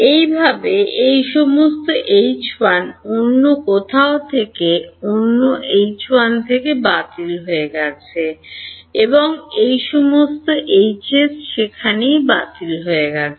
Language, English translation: Bengali, That is how these all is H 1 got cancelled from another H 1 from somewhere else and so on, all the H s got cancelled over there